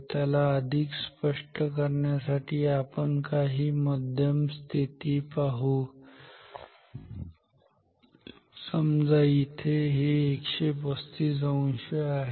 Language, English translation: Marathi, So, maybe to make it more clear, let us see some intermediate positions say here which is 135 degree ok